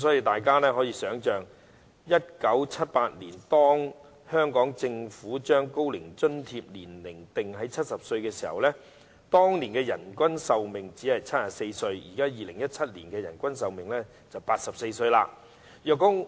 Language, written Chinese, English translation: Cantonese, 大家可以想象 ，1978 年當香港政府將高齡津貼的年齡定在70歲或以上時，當年的人均壽命約為74歲 ；2017 年的人均壽命則約為84歲。, One may imagine that when the Hong Kong Government set the eligible age for the Old Age Allowance OAA at 70 or above in 1978 the average life expectancy was around 74 back then; whereas the average life expectancy in 2017 was around 84